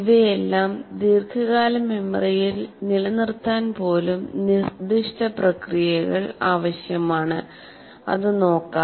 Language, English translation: Malayalam, Even to retain it in the long term memory require certain processes and that's what we will look at it